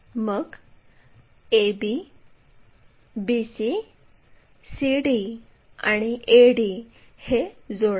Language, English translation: Marathi, So, join a b, b c, c d, and a d